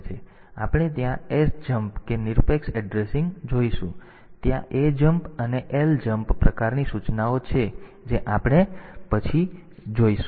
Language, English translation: Gujarati, So, we will see that absolute addressing there sjmp; there the ajmp and ljmp type of instructions that we will see later